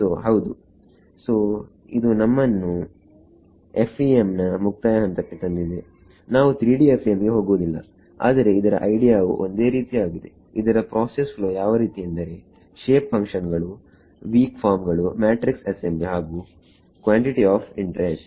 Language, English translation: Kannada, So, yeah so, that brings us to an end of the FEM we will not go to 3D FEM, but the idea is same right shape functions, weak form, matrix assembly, calculating the quantity of interesting this is a process flow